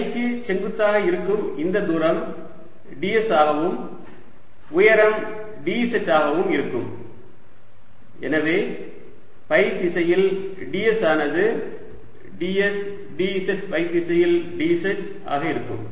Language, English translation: Tamil, this distance perpendicular to phi is going to be d s and the height is d z and therefore in the direction phi d s is going to be d s, d z in the direction phi